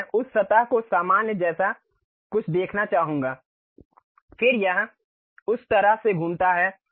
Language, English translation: Hindi, Now, I would like to see something like normal to that surface, then it rotates in that way